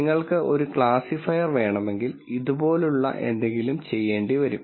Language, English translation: Malayalam, And you would notice that if you wanted a classifier, something like this would do